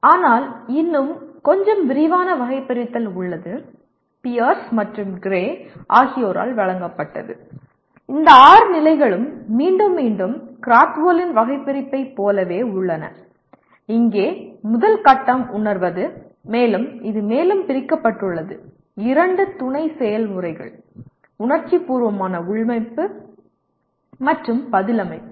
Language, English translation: Tamil, But there is a little more elaborate taxonomy was presented by Pierce and Gray and these six stages are again once again approximately the same as Krathwohl’s taxonomy and here the first stage is perceiving and it is further subdivided into two sub processes emotive implanting and response setting